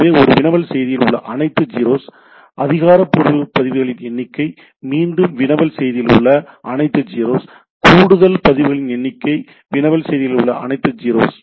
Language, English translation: Tamil, So it is all 0s in the query message, number of authoritative records, again all 0s in the query message, number of additional records all 0s in the query message